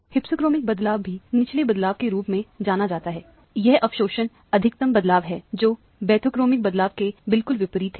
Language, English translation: Hindi, Hypsochromic shift is also known as blue shift, this is absorption maximum shift at to shorter wavelength exactly opposite of the bathochromic shift